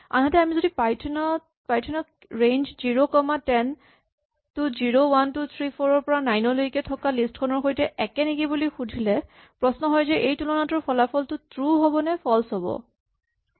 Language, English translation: Assamese, In other words, if we ask Python the following comparison, is range 0 comma 10 equal to the list 0, 1, 2, 3 up to 9 then the question is the result of this comparison true or false